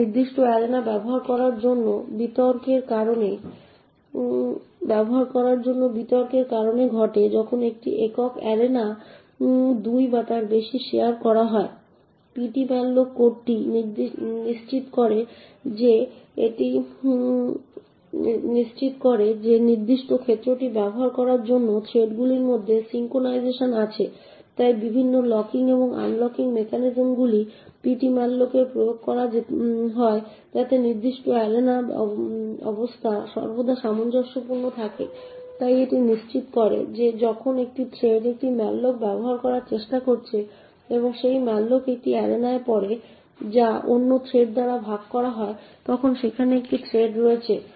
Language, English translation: Bengali, This slowdown is caused due to the contention for using a particular arena when a single arena is shared by 2 or more threads the ptmalloc code ensures that there is synchronisation between the threads in order to use the particular arena, so a various locking and unlocking mechanisms are implemented in ptmalloc2 to ensure that the state of the particular arena is always consistent, so it ensures that when one thread is trying to use a malloc and that malloc falls in an arena which is also shared by other thread then there is a locking mechanism to ensure synchronisation